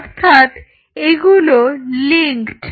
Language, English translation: Bengali, So, they are linked